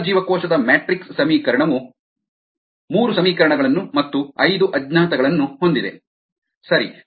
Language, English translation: Kannada, the intracellular matrix equation has three equations and five unknowns